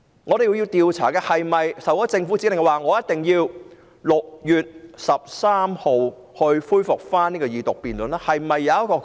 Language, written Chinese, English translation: Cantonese, 我們要調查警方有否收到政府指令，要讓法案在6月13日恢復二讀辯論？, We have to investigate whether the Police had received the Governments order that the Second Reading debate of the bill should be resumed on 13 June